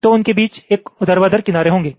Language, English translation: Hindi, they will be having a horizontal edge between them